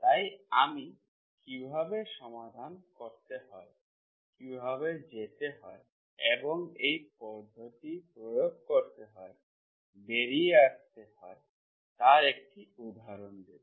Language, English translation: Bengali, So I will give an example how to solve, how to go and come out to apply this method